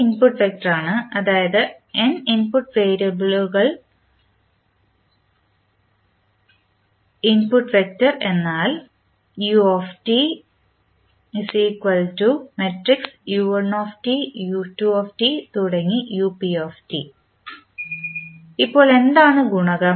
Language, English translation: Malayalam, ut is the input vector, say, if there are n input variables then the input vector will have say if there are p input variables